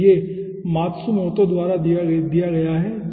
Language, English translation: Hindi, so this has been given by matsumoto